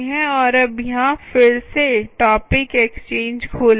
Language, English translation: Hindi, so now lets clear again and now open up topic exchange